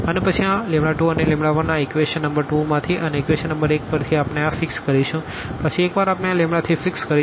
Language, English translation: Gujarati, And then this lambda 2 and lambda 1 from this equation number 2 and from the equation number 1 we will get the other 2 once we fix this lambda 3